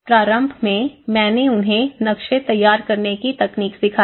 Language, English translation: Hindi, Initially, I have given them techniques of how to draw the maps